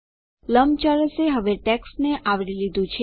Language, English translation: Gujarati, The rectangle has now covered the text